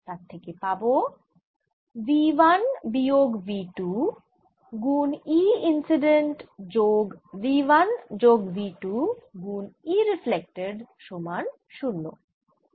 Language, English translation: Bengali, it was v two minus v one over v two plus v one e incident and e transmitted is equal to two v two over two plus v one e incident